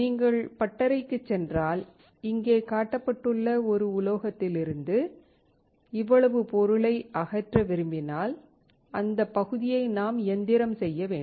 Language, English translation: Tamil, If you go to workshop and if you want to remove this much material from a metal, which is shown here then we can we have to machine that part